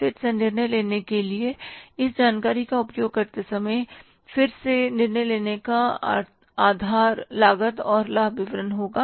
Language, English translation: Hindi, Again, while making the use of this information for decision making, again the basis of decision making will be the cost and benefit analysis